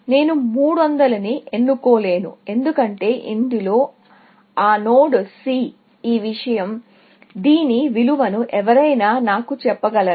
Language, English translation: Telugu, I cannot choose 300, because in this, that node C, this thing; can somebody tell me the value for this